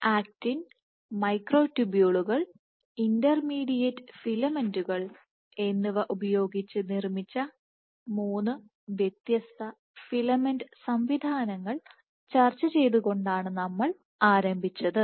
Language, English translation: Malayalam, So, we had started by discussing three different filament systems made of actin, microtubules and intermediate filaments